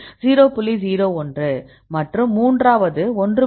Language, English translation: Tamil, 01 and the third one 1